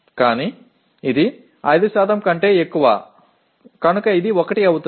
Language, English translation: Telugu, But it is more than 5% so it becomes 1